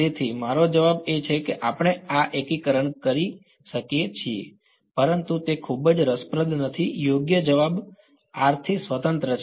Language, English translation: Gujarati, So, the answer I mean we can do this integration, but it's not very interesting right the answer is independent of r